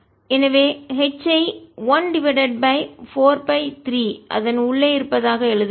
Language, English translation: Tamil, so i will write h as one by four pi three is inside it